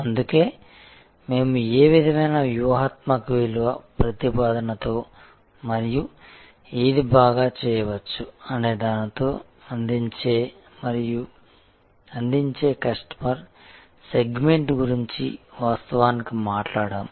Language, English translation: Telugu, That is why we actually talked about the customer segment served and served with what kind of strategic value proposition and what can be done better